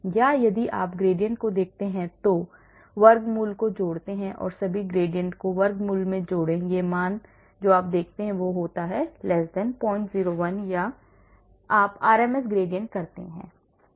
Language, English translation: Hindi, or if you look at the gradient take the square root add all the gradient in the square root this value you see you give some number it is <